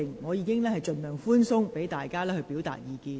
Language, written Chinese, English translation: Cantonese, 我已盡量寬鬆，讓議員表達意見。, I have striven to adopt a lax approach to allow Members to express their views